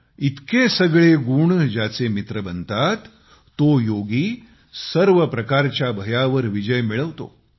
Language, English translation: Marathi, When so many attributes become one's partner, then that yogi conquers all forms of fear